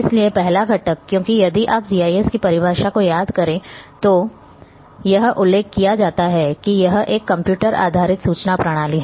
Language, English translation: Hindi, So, the first component because if you recall the definition of GIS, it is mentioned that it is a computer based information system